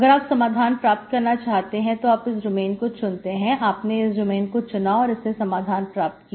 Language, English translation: Hindi, If you want solution here, you consider your domain this as this one, that you take it and solve